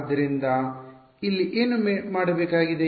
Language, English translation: Kannada, So, what remains to be done here